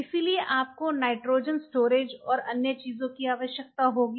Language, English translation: Hindi, So, you have to have I told you about the nitrogens storage and everything